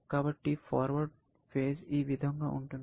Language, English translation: Telugu, So, the forward face is as follows